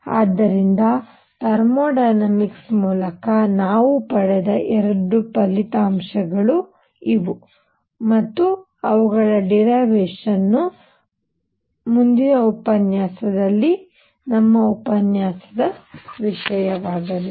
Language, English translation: Kannada, So, these are the two results that we have obtained through thermodynamics, and their derivation is going to be subject of our lecture in the next one